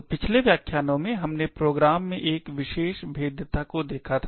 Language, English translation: Hindi, So, in the previous lectures we had actually looked at one particular vulnerability in programs